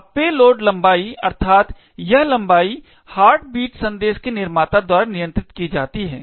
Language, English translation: Hindi, Now, the payload length, that is, this length is controlled by the creator of the heartbeat message